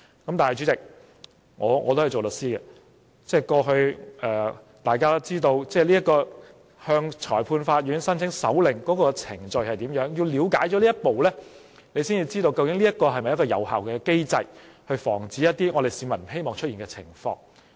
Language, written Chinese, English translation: Cantonese, 然而，主席，我也是一位律師，大家均知道向裁判法院申請搜查令有甚麼程序，要了解這程序，才可知道這是否一個有效機制，防止出現一些市民不希望看到的情況。, However Chairman I am a lawyer myself . We all know the procedure required to apply for a search warrant from a magistrates court . One has to know the procedure before he knows whether this is an effective mechanism